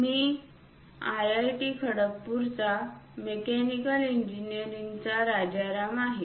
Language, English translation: Marathi, I am Rajaram from Mechanical Engineering, IIT Kharagpur